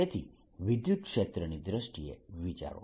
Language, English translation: Gujarati, so think in terms of electric field conceptually